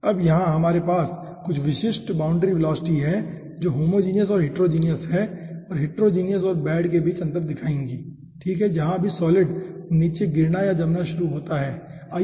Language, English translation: Hindi, okay, now here we have some typical, you know, boundary velocities which will be differentiated between homogeneous and heterogeneous, and heterogeneous and bed, okay, wherever the solid starts to drop down or settle down